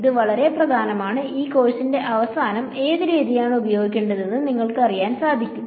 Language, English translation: Malayalam, This is really very important and hopefully at the end of this course, you will know which method to apply when